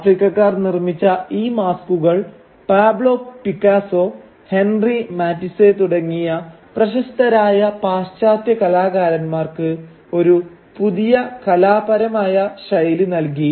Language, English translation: Malayalam, The masks made by these Africans provided a new artistic idiom to such celebrated western artists like Pablo Picasso for instance, or Henri Matisse